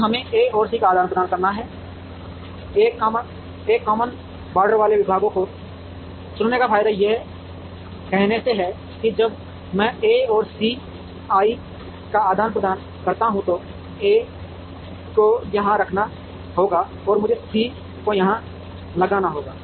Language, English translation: Hindi, Now, we have to exchange A and C in a way the advantage of choosing departments that have a common border is by saying that when I exchange A and C I have to put A here and I have to put C here